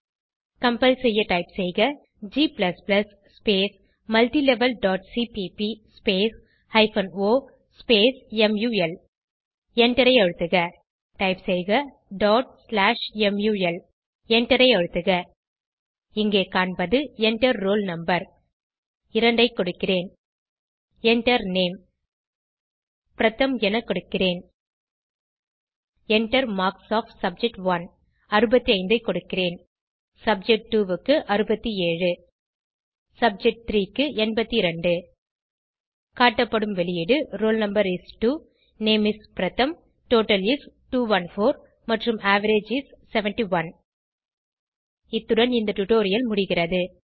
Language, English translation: Tamil, To compile, type g++ multilevel.cpp o mul Press Enter Type ./mul Press Enter Here we see, Enter Roll no.: I will enter as 2 Enter Name: I will enter as Pratham Enter marks of subject1 I will give as 65 subject2 as 67 and, subject3 as 82 The output is displayed as: Roll no is: 2 Name is: Pratham Total is: 214 and, Average is: 71 This brings us to the end of this tutorial